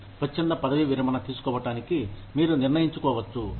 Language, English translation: Telugu, You may decide, to take voluntary retirement